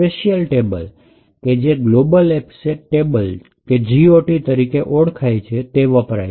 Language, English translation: Gujarati, A special table known as Global Offset Table or GOT table is used